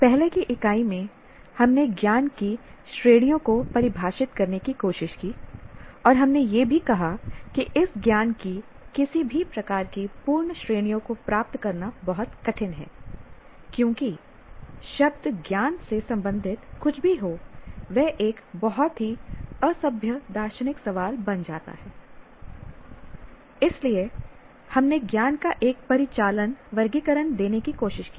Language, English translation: Hindi, In the earlier unit, we tried to define the categories of knowledge and we also stated that it's very difficult to get any kind of absolute definitions of our categories of this knowledge simply because the anything related to the word knowledge becomes a very, very hugely unsolvable philosophical question